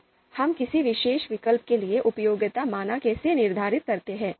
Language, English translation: Hindi, So how do we determine the utility value for a particular alternative